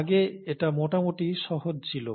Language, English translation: Bengali, Earlier it was fairly easy